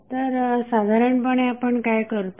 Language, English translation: Marathi, So, what we generally do